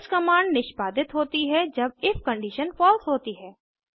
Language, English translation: Hindi, else command is executed when if condition is false